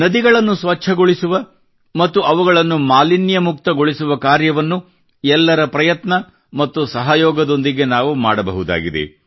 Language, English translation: Kannada, We can very well undertake the endeavour of cleaning rivers and freeing them of pollution with collective effort and support